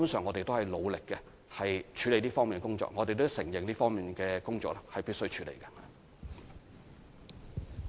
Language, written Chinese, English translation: Cantonese, 我們會努力處理這方面的工作，而我們亦承認這方面的工作是必須處理的。, We will make an effort to deal with this area of work and we admit that it is necessary to do so